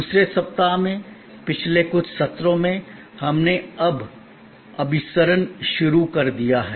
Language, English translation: Hindi, In the second week, in the last couple of sessions, we are now have started to converge